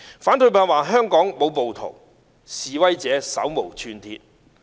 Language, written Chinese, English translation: Cantonese, 反對派說香港沒有暴徒，示威者手無寸鐵。, The opposition camp say that there are no rioters in Hong Kong and that the protesters are unarmed